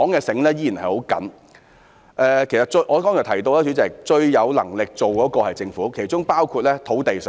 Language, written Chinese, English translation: Cantonese, 主席，我剛才提到，最有能力推動的是政府，其中包括土地使用。, President as I mentioned earlier the Government is best equipped to take forward the work including the use of land